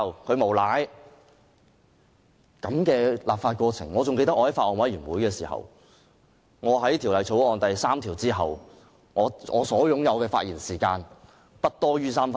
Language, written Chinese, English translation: Cantonese, 我還記得在法案委員會完成討論《條例草案》第3條後，我的發言時間尚餘不多於3分鐘。, As I still remember after the Bills Committee had finished discussing clause 3 of the Bill I had less than three minutes to speak